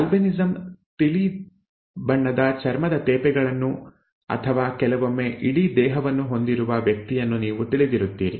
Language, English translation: Kannada, Albinism, you know the person withÉ who has light coloured skin patches, skin patches or sometimes even the entire body that is albinism, okay